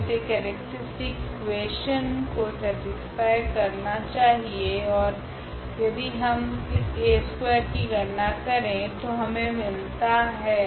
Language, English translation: Hindi, So, this should satisfy the characteristic equation and if we compute this A square that is coming to be here